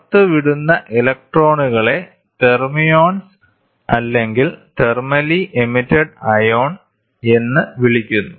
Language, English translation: Malayalam, The emitted electrons are known as thermions thermally emitted ion thermion